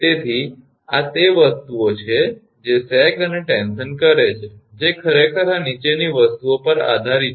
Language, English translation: Gujarati, So, these are the things that sag and stresses actually dependent of this following things